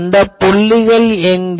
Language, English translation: Tamil, So, where are those points